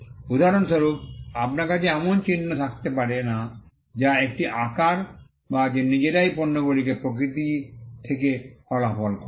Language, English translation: Bengali, For instance, you cannot have a mark which is a shape that results from the nature of goods themselves